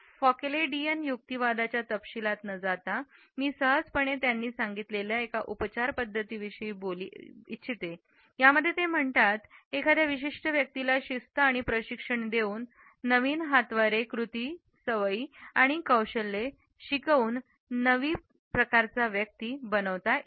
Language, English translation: Marathi, Without going into the details of a Foucauldian argument I would simply point out to a particular treatment which he had paid wherein he had suggested that discipline and training can reconstruct power to produce new gestures, actions, habits and skills and ultimately new kinds of people